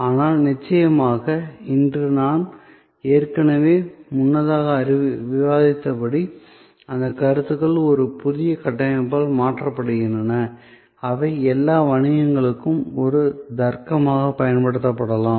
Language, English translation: Tamil, But, of course, today as I have already discussed earlier, today those concepts are being replaced by a new framework, which can be applied as a logic to all businesses